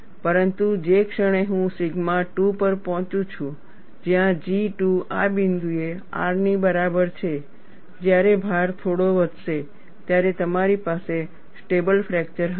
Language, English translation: Gujarati, But the moment I reach sigma 2, where G 2 is equal to R at this point, when the load is slightly increased, you will have a stable fracture